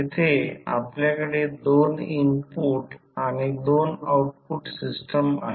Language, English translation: Marathi, Here we have 2 input and 2 output system